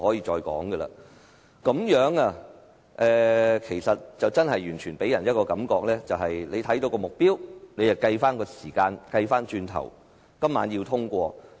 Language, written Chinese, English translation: Cantonese, 這個情況真的給人一種感覺，就是主席按照既定目標，反過來計算時間，要在今晚通過《條例草案》。, Such a situation really gives us the impression that the Chairman times the proceedings backwards with a pre - set target so that the Bill can be passed tonight